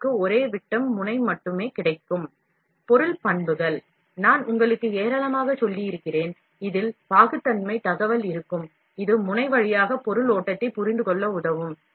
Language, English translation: Tamil, The material characteristics, I have told you in the plenty, this would include viscosity information, that would help in understanding the material flow through the nozzle